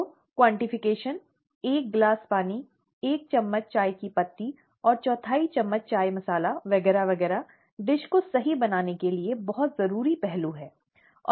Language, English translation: Hindi, So the quantification, one glass of water, one teaspoon of tea leaves and quarter teaspoon of chai masala and so on and so forth are very essential aspects to get the dish right